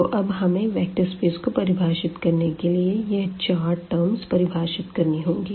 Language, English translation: Hindi, So, we need to define these four four things to define this vector space